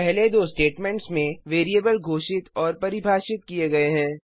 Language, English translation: Hindi, the first two statements the variables are declared and defined